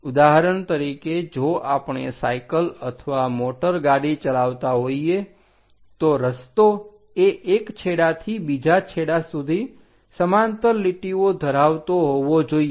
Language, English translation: Gujarati, For example, if we are riding a bicycle or driving a car, the road is supposed to be a parallel lines from one end to other end